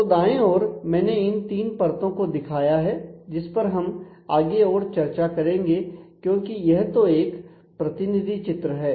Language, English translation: Hindi, So, on the right I have shown these three layers we will talk more about the this is just a representative diagram